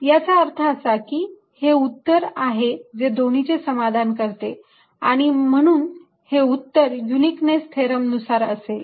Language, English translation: Marathi, what that means is that this is a solution that satisfies both and this is these the solution, then, by uniqueness theorem